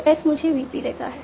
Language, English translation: Hindi, So as gives me a VP